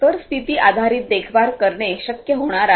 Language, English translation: Marathi, So, condition based monitoring is going to be possible